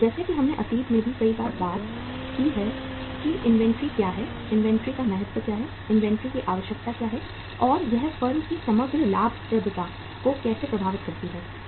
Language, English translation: Hindi, As we have talked many times in the past also that what is the inventory, what is the importance of the inventory, what is the need of the inventory and how it impacts the overall profitability of the firm